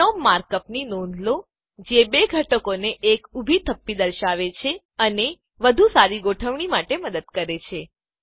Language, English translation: Gujarati, Notice the mark up binom, which displays a vertical stack of two elements and helps with better alignment